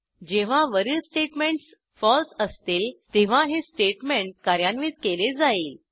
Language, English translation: Marathi, When all the above statements are false, then this statement will be executed